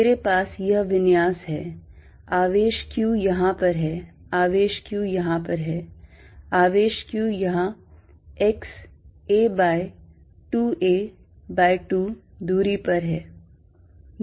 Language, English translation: Hindi, I have this configuration charge Q here, charge Q here, charge q here at a distance x a by 2 a by 2